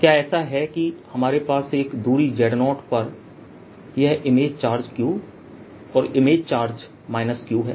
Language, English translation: Hindi, is it that we have this image charge q and image charge minus q